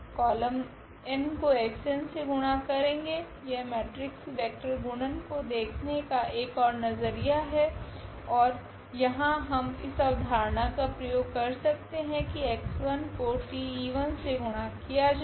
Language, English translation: Hindi, The column n will be multiplied to x n that is another way of looking at the matrix vector product and here exactly we have used that idea that this x 1 multiplied by this vector T e 1